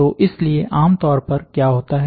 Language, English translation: Hindi, So, generally what happens